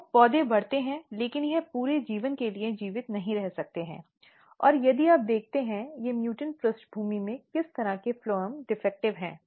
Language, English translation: Hindi, So, plants are grown, but it cannot survive for the entire life and if you look what kind of phloems are defective in these mutant background